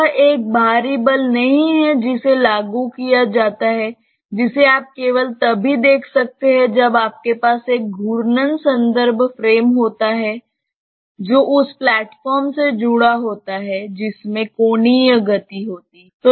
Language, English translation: Hindi, This is not an external force that is applied that you can see only when you have a rotating reference frame that is attached to the platform that is having angular motion